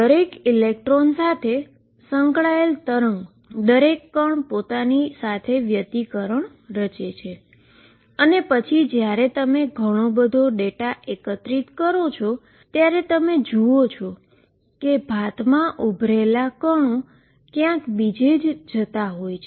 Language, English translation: Gujarati, Wave associated with each electron each particle interferes with itself and then when you collect a lot of data you see the pattern emerging the particles going somewhere